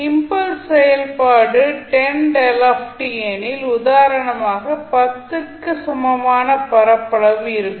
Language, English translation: Tamil, Say for example if the impulse function is 10 delta t means it has an area equal to 10